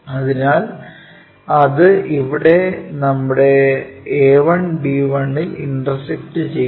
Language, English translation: Malayalam, So, that is intersecting here on that transfer our a 1, b 1